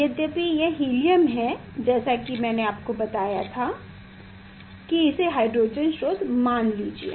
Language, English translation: Hindi, Although it is helium as I told you think that is the hydrogen source